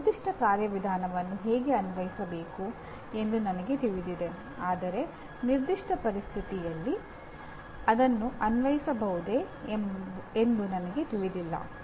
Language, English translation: Kannada, An example is I know how to apply a given procedure but I do not know whether it can be applied in a given situation